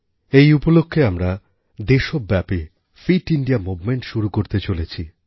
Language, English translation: Bengali, On this occasion, we are going to launch the 'Fit India Movement' across the country